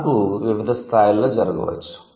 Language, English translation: Telugu, The change might happen at different level